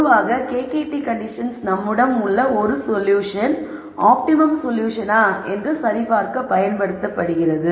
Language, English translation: Tamil, So, in general the KKT conditions are generally used to verify if a solution that we have is an optimal solution